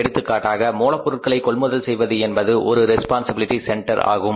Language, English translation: Tamil, For example, purchase of raw material that is a one responsibility center